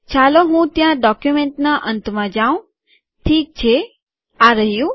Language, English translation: Gujarati, Let me just go there at the end of the document, okay here it is